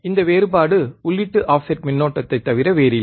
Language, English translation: Tamil, Here, we are looking at input offset current